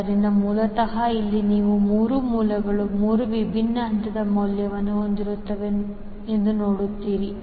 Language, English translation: Kannada, So, basically here you will see that the 3 sources are having 3 different phase value